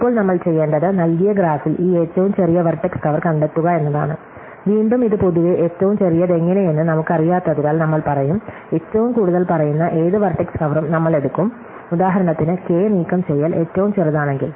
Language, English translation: Malayalam, So, now, what we want to do is find the smallest vertex cover in a given graph, and again because we do not know how to do smallest in general, we will say that, we will take any vertex cover which is at most size K we are looking for the smallest one